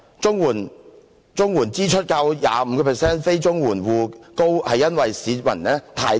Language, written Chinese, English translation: Cantonese, 綜援住戶支出較 25% 非綜援住戶支出高，是因為市民太貧窮。, The expenditure of CSSA households is higher than that of the lowest 25 % of non - CSSA households because the people are too poor